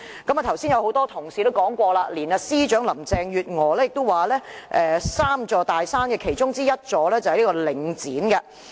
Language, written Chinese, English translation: Cantonese, 剛才也有多位同事表示，連政務司司長林鄭月娥也形容領展是 "3 座大山"的其中之一。, Numerous Honourable colleagues have also mentioned earlier that even Chief Secretary for Administration Carrie LAM had described Link REIT as one of the three mountains